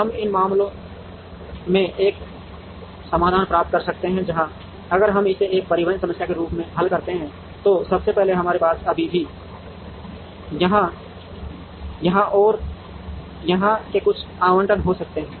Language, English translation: Hindi, We may in this case get a solution, where if we solve it as a transportation problem first we may still have some allocations from here, here and here